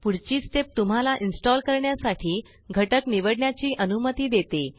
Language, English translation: Marathi, This next step allows you to choose components to install